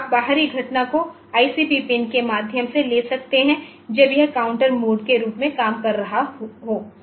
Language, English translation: Hindi, So, you can external event can be taken through the ICP pin when it is working as a counter mode